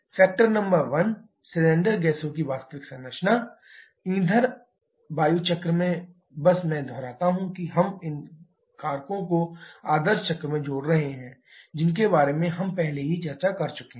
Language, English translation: Hindi, Factor number 1, the actual composition of cylinder gases: in fuel air cycle just I repeat we are adding these factors to the ideal cycle which we have already discussed